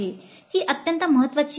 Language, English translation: Marathi, This is an extremely important activity